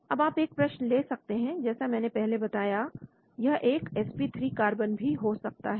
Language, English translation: Hindi, Now you can have a probe atom like I have mentioned it could be a sp3 carbon